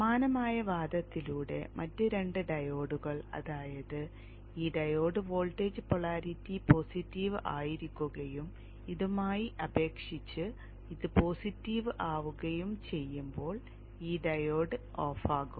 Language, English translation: Malayalam, By a similar argument it can be seen that the other two diodes, that is this diode and this diode will be turned off when the voltage polarity is positive when this is positive with respect to this